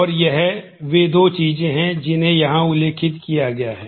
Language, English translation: Hindi, And those are the two things that are outlined here